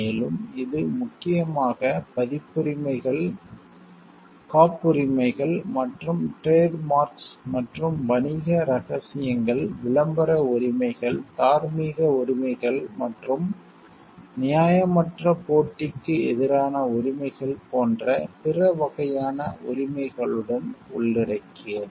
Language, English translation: Tamil, And it mainly covers copyrights, patents and trademarks along with other types of rights, such as trade secrets, publicity rights, moral rights and rights against unfair competition